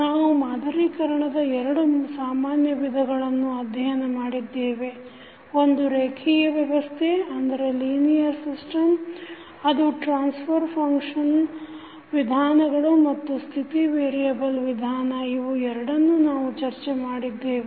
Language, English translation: Kannada, Now, we have studied two most common methods of modeling the linear system that were transfer function methods and the state variable method, so these two we have discussed